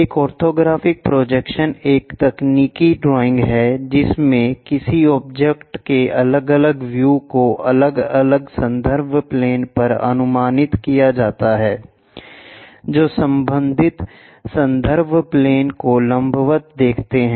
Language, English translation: Hindi, An orthographic projection is a technical drawing in which different views of an object are projected on different reference planes observing perpendicular to respective reference planes